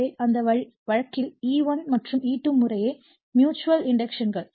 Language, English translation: Tamil, So, in that case your that your E1 and E2 respectively / mutual inductions